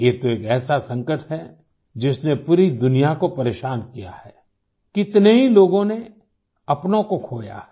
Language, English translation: Hindi, This is a crisis that has plagued the whole world, so many people have lost their loved ones